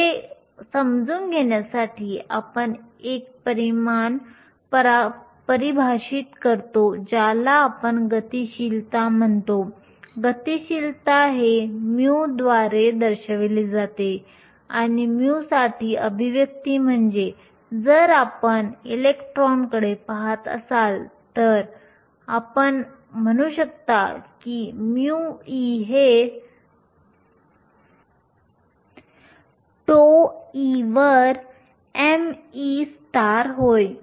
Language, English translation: Marathi, To understand this, we define a quantity that we call the mobility, mobility is denoted by the symbol mu and the expression for mu, if you are looking at electrons you can say mu e is nothing but tau e over m e star